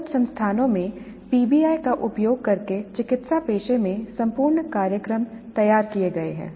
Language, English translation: Hindi, Entire programs in medical profession have been designed using PBI in some institutes